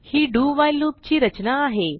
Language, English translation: Marathi, Here is the structure for do while loop